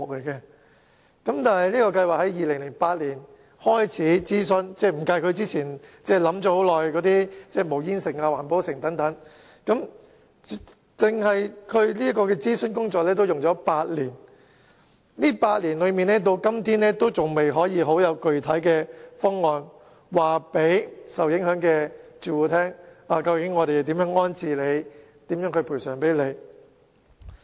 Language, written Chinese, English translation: Cantonese, 然而，這項計劃在2008年開始諮詢，還未計算在之前已考慮很久的無煙城或環保城等計劃，單是諮詢工作已花了8年，但至今仍然未有具體方案可以告訴受影響住戶，政府將如何安置及補償他們。, Notwithstanding that after the consultation exercise of the project was kicked off in 2008 it has dragged on for as long as eight years excluding the prolonged period of time taken earlier for consideration of the proposed smoke - free city or eco - city . To date no specific proposal has been drawn up to inform the affected residents of the Governments rehousing and compensation arrangements